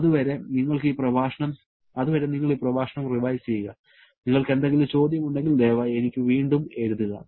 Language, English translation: Malayalam, Till then, you revise this lecture and if you have any query please write back to me